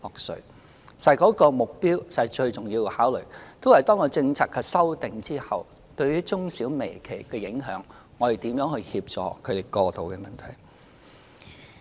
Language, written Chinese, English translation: Cantonese, 事實上該措施最重要的考慮，是面對政策修訂後對於中小微企的影響，政府應該如何協助他們過渡的問題。, As a matter of fact the most important consideration behind the initiative is what the Government should do to help micro small and medium enterprises tide over the difficulties after the policy change